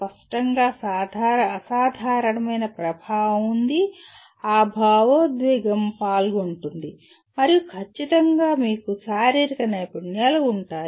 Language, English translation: Telugu, There is obviously a phenomenal amount of affective, that emotion that is involved and then certainly you have physical skills